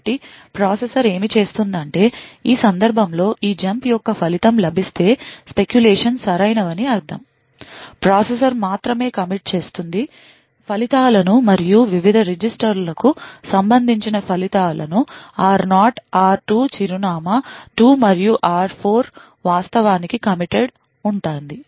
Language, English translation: Telugu, So what the processor does is that once this the result of this jump on no 0 is obtained in this case it means that the speculation is correct, the processor would only commit the results and the results corresponding to the various registers r0, r2 address 2 and r4 would be actually committed